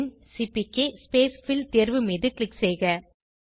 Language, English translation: Tamil, And click on CPK Spacefill option